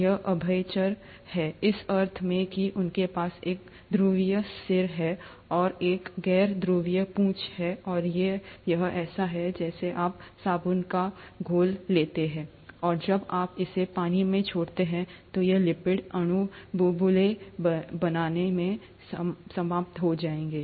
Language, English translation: Hindi, These are amphiphatic, in the sense that they do have a polar head, and a non polar tail, and these, it's like you take a soap solution and when you drop it in water, these lipid molecules will end up forming bubbles